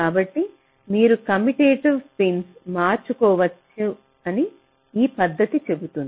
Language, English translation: Telugu, so this method says that you can swap commutative pins